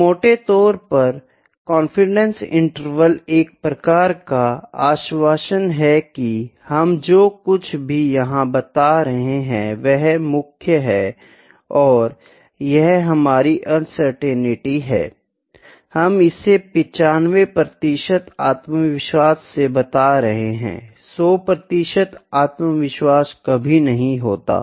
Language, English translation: Hindi, So, broadly confidence interval is the confidence or the assurance that whatever we are telling, that this is the main and this is our uncertainty, we are telling this with 95 percent confidence 100 percent confidence is never there